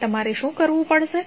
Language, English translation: Gujarati, Now, what you have to do